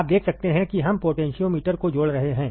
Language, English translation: Hindi, You can that see we are connecting potentiometer